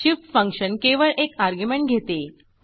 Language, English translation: Marathi, split function takes two arguments